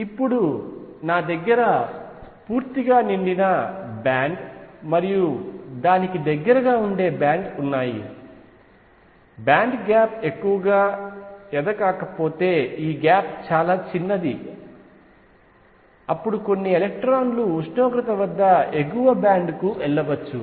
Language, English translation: Telugu, Now, if I have a band which is fully filled, and next band which is close to it band gap is not much, this gap is very small then some electrons can move to the upper band at temperature t